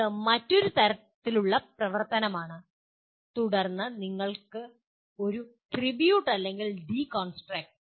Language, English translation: Malayalam, That is another type of activity and then what you call a tribute or deconstruct